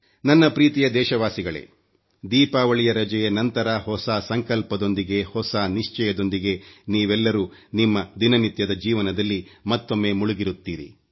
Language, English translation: Kannada, My dear countrymen, you must've returned to your respective routines after the Diwali vacation, with a new resolve, with a new determination